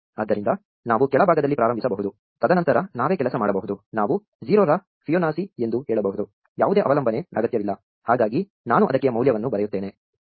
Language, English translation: Kannada, So, we can start at the bottom, and then work ourselves up, we can say Fibonacci of 0, needs no dependencies, so let me write a value for it